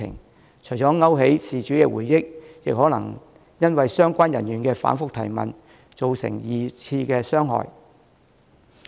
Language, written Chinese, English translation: Cantonese, 這樣除了會勾起事主的回憶，亦有可能因為相關人員的反覆提問，對事主造成二次傷害。, Not only will this evoke the relevant memories of the victims it may also subject them to secondary victimization because of the repeated questioning by the relevant officers